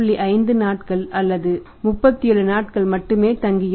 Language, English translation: Tamil, 5 days or 37 days